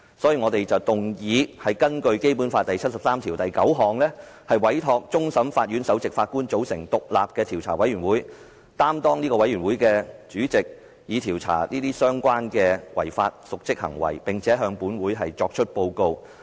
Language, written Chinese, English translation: Cantonese, 所以，我們動議根據《基本法》第七十三條第九項委托終審法院首席法官組成獨立的調查委員會，並擔任該委員會的主席，以調查相關的違法及瀆職行為，並向本會提出報告。, Therefore we move that this Council in accordance with Article 739 of the Basic Law gives a mandate to the Chief Justice of the Court of Final Appeal to form and chair an independent investigation committee to investigate the alleged serious breaches of law andor dereliction of duty and report its findings to this Council